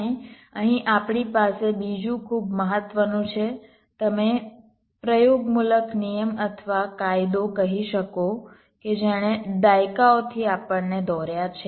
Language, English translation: Gujarati, and here we have another very important, you can say, empirical rule or law that has driven us over decades